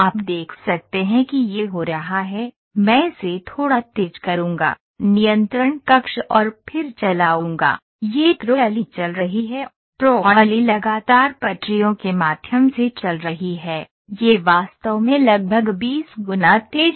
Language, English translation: Hindi, So, you can see it is happening ok I will make it little faster, control panel; I will make it a little faster and then run ok this trolley is running, trolley is continuously running through the tracks, ok this is actually about 20 times faster